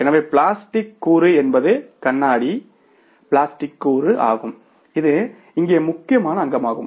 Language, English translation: Tamil, So, plastic component is the or the glass plastic component that is the important component here